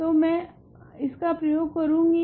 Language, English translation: Hindi, So, I am going to use this